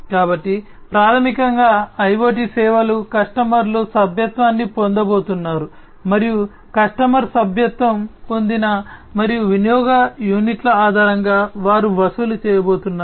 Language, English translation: Telugu, So, basically you know IoT services, the customers are going to subscribe to and they are going to be charged based on the units of subscription, that the customer has subscribed to and the units of usage